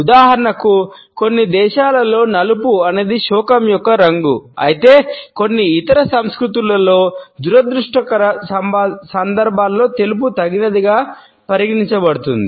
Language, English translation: Telugu, For example in certain countries black is the color of mourning whereas, in certain other cultures it is considered to be the white which is appropriate during these unfortunate occasions